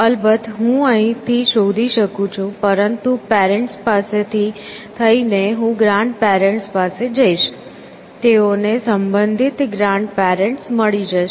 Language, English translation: Gujarati, Of course, I can find from here, but from the parent, I will have go to the grandparent, they will a find the grandparent corresponding